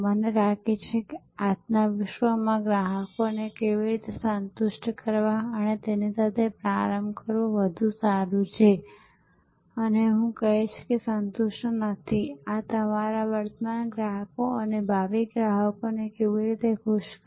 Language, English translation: Gujarati, I think in today's world it is better to start with how to satisfy customers and I would say not satisfy, how to delight our current customers and future customers